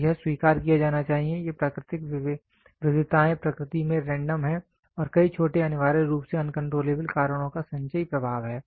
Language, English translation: Hindi, So, this has to be accepted, these natural variations are random in nature and are the cumulative effect of many small essentially uncontrollable causes